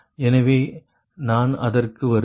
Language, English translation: Tamil, so i will come to that